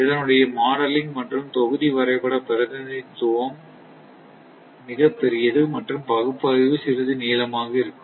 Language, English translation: Tamil, The modeling will be block diagram representation is much bigger and analysis will be little bit lengthy